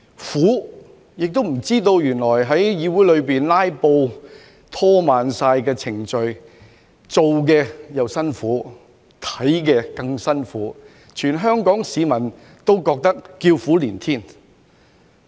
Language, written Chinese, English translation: Cantonese, 苦，亦不知道原來有人在議會裏"拉布"，拖慢程序，會令辦事的又辛苦，觀看的更辛苦，全香港市民都叫苦連天。, Bitterness . I did not know either that in actuality someone would filibuster in this Council to stall the proceedings giving a bitterly hard time to those working and all the more to those watching . As a result all the people of Hong Kong were crying out in agony